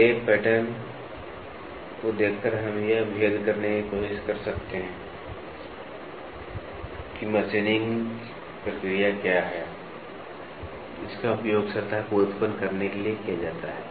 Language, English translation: Hindi, By looking at the lay pattern, we can try to distinguish what is the machining process which is been used to generate the surface